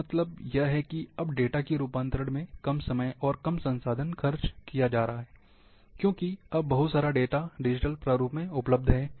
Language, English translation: Hindi, That means, now less time is being spent on data conversion, and less resource, because lot of now data, is becoming available in digital format